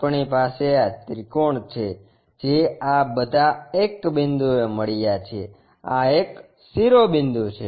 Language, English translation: Gujarati, We have these triangles all these are meeting at 1 point, this one is apex or vertex